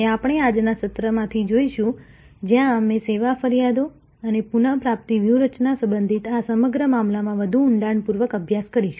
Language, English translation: Gujarati, And we will see from today’s session, where we will delve deeper into this whole affair relating to Service Complaints and Recovery Strategies